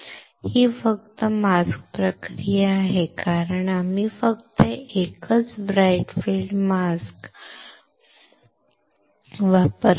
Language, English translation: Marathi, This is just a one mask process, because we have used just one single bright field mask right